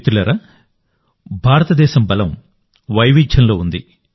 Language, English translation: Telugu, Friends, India's strength lies in its diversity